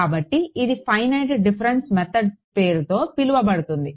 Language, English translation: Telugu, So, that is known by the name of finite difference methods